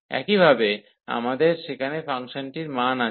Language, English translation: Bengali, So, correspondingly we have the function values there